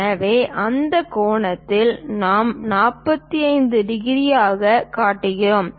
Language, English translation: Tamil, So, that angle what we are showing as 45 degrees